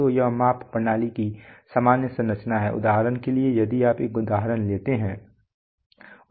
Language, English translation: Hindi, So this is the general structure of a measurement system, for example if you take an example